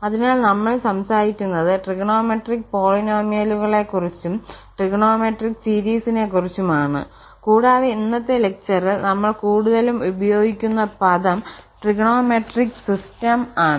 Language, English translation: Malayalam, So, we will be talking about the trigonometric polynomials and trigonometric series, and further as a whole we will be also using this term trigonometric system in today’s lecture